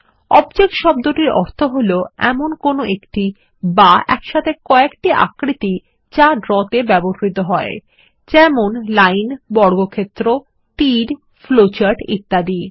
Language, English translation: Bengali, The term Object denotes shapes or group of shapes used in Draw such as lines, squares, arrows, flowcharts and so on